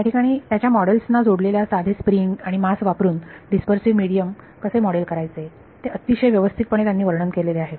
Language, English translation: Marathi, So, here he describes very properly what how do you model the dispersive medium using a simple spring and mass attached to it models